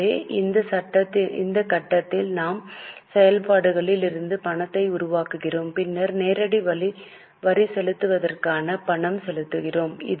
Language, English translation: Tamil, So, we at this stage get cash generation from operations, then payment of direct taxes net of refund